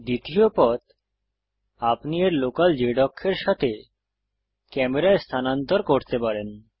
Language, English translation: Bengali, Second way, you can move the camera along its local z axis